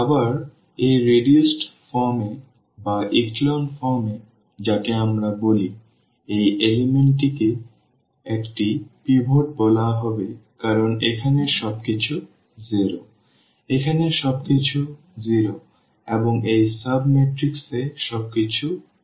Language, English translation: Bengali, Again, in this reduced form in this echelon form which we call this matrix will be called or this element will be called a pivot because everything here is 0 everything here is 0 and in this sub matrix everything is 0 here